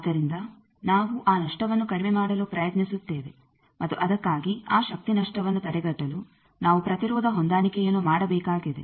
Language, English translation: Kannada, So, we try to minimize that loss and for that we need to do impedance matching to prevent that power loss